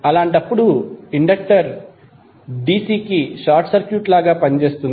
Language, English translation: Telugu, In that case the inductor would act like a short circuit to dC